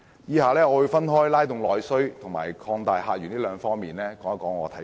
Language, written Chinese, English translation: Cantonese, 以下我會分別從"拉動內需"及"擴大客源"兩方面表達意見。, Next I will express my views on stimulating internal demand and opening up new visitor sources